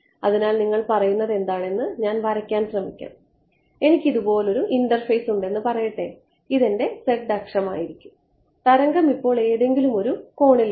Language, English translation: Malayalam, So, let me draw what you are saying you are saying let us say I have an interface like this is my z axis let say now the wave come that it at some angle right